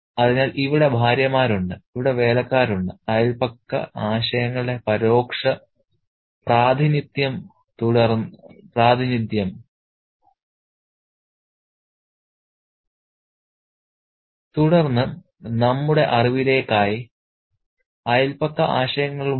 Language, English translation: Malayalam, So, we have the wives, we have the servants, and we have the servants, you know, indirect representation of the neighborhood's ideas, and then we have the neighborhood's ideas as well for our information